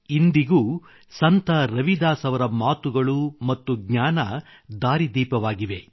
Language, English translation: Kannada, Even today, the words, the knowledge of Sant Ravidas ji guide us on our path